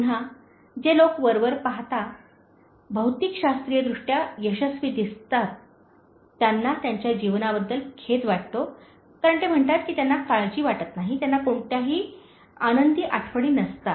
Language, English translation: Marathi, Again, people who look apparently, materialistically, successful often, they regret their life because, they say that they do not cherish, they do not have any happy memories